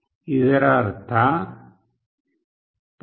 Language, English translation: Kannada, This means, for 0